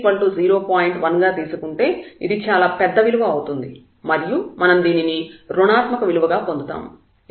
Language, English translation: Telugu, 1 this is too large value and we are getting this negative number because these are the dominating term for this h 0